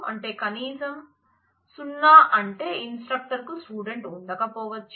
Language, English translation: Telugu, So, the minimum is 0 which means that an instructor may not have a student